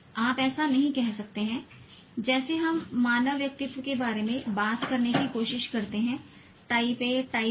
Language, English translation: Hindi, You cannot say, just like we try to talk about human personalities type A, type B